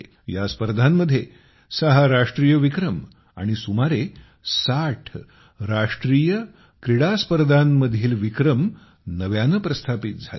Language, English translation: Marathi, Six National Records and about 60 National Games Records were also made in these games